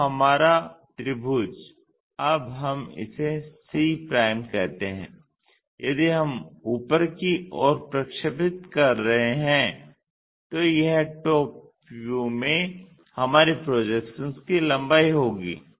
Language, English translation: Hindi, So, our triangle now let us call c', if we are projecting all the way up in the this will be the length of our projection in the top view